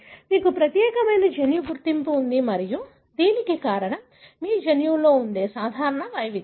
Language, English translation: Telugu, You have a unique genetic identity and this is because of the common variation that our genome has